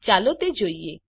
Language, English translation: Gujarati, Let us use it now